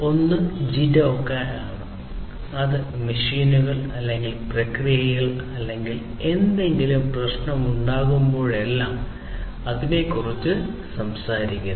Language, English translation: Malayalam, One is the JIDOKA, where, which talks about that whenever there is a problem, problem of any kind with the machines, or in the process, or whatever be it